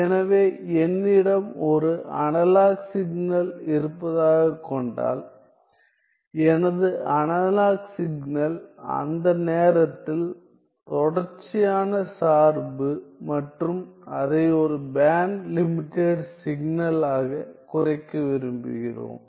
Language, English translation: Tamil, So, this is my analog signal, analog signal, which is that time continuous function and we want to reduce it into a band limited signal, we want to reduce this